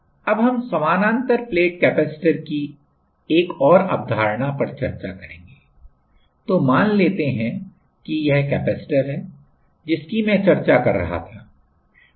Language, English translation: Hindi, We will now, discuss one more concept on the parallel plate capacitor that is let us say this is the capacitor as I was discussing